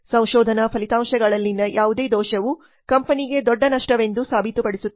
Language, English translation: Kannada, Any error in the research results can prove to be a big loss for the company